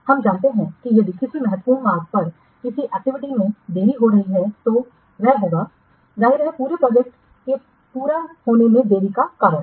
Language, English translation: Hindi, We know that if there is any delay in an activity lying on the critical path, then that will obviously cause a delay in the completion of the whole project